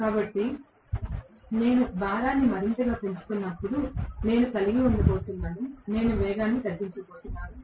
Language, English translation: Telugu, So, I am going to have as I increase the load further and further, I am going to have reduction in the speed